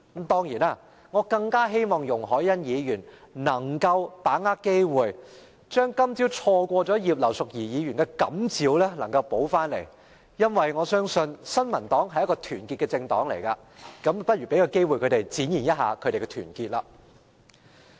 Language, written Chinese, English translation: Cantonese, 當然，我更希望容海恩議員能夠把握機會，不要再錯過葉劉淑儀議員今早的感召，因為我相信新民黨是團結的，就讓我們給她們機會展現團結。, Of course I hope all the more that Ms YUNG Hoi - yan could seize this opportunity rather than once again miss the opportunity to respond to the inspirational gesture made by Mrs Regina IPs this morning because I believe the New Peoples Party is united so let us give them a chance to show their unity